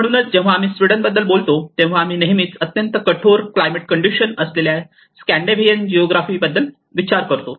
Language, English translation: Marathi, So when we talk about Sweden we always see thinks about the Scandinavian geographies with very harsh climatic conditions